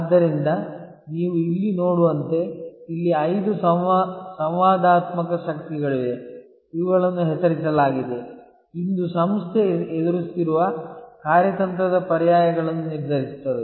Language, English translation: Kannada, So, as you see here there are five interactive forces which are named here, which determine the strategic alternatives facing an organization